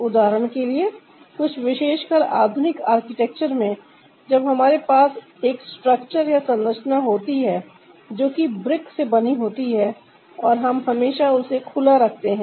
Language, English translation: Hindi, for example, in some of the architecture, specially in modern architecture, when we have a structure that is made out of break and ah, we keep it open